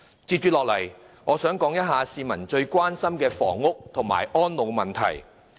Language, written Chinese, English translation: Cantonese, 接着我想談談市民最關心的房屋及安老問題。, I would then like to talk about the housing and elderly problems which Hong Kong people are most concerned about